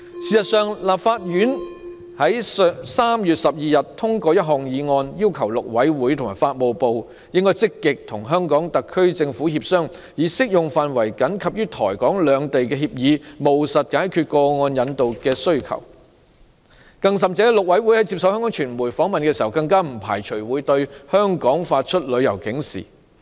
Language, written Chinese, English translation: Cantonese, 事實上，台灣立法院在3月12日通過一項議案，要求陸委會及法務部積極與香港特區政府協商，按照僅適用於台港兩地的協議，務實解決個案引渡需求，陸委會在接受香港傳媒訪問時更表示，不排除會向香港發出旅遊警示。, In fact the Taiwan Legislative Yuan passed a motion on 12 March requesting the Mainland Affairs Council MAC and the Ministry of Justice to actively negotiate with the Hong Kong SAR Government and effectively solve the problem of extradition in accordance with the agreements applicable to Taiwan and Hong Kong . Interviewed by the Hong Kong media MAC said that it would not rule out the possibility of issuing a warning about travelling to Hong Kong